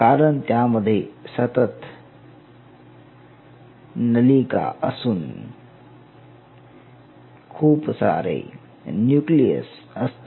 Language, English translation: Marathi, So because it is a continuous tube with multiple nucleus